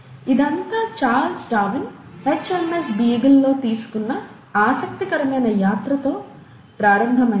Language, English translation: Telugu, And, it all started with this interesting trip which Charles Darwin took on HMS Beagle